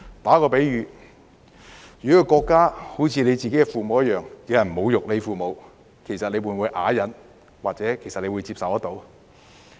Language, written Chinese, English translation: Cantonese, 作個比喻，國家猶如自己的父母，若有人侮辱你的父母，你會否啞忍或接受？, To use an analogy the country is like ones own parents . If someone insulted your parents would you suffer in silence or accept that behaviour?